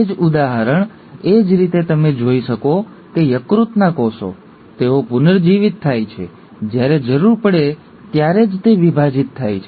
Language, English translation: Gujarati, Same example, similarly you find that the liver cells, they regenerate, they divide only when the need is